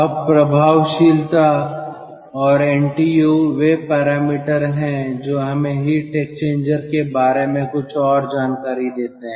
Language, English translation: Hindi, now, effectiveness and ntu, they are parameters, which gives us some more information regarding the heat exchanger